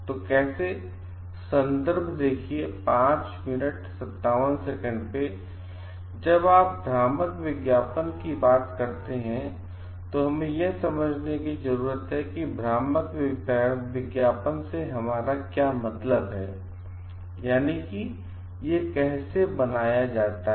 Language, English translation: Hindi, So, how when you talk about deceptive advertising, we then need to understand also what we mean by deceptive advertising or how it is created